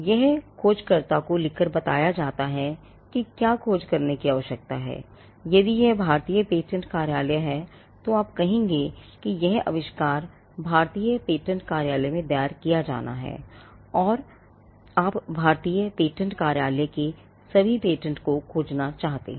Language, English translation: Hindi, Now this is done by writing to the searcher stating what needs to be searched, if it is the Indian patent office you would say that this invention is to be filed in the Indian patent office, and you would want to search all the patents in the Indian patent office